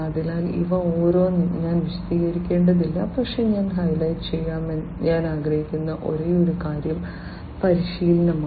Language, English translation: Malayalam, So, I do not need to explain each of these, but only thing that I would like to highlight is the training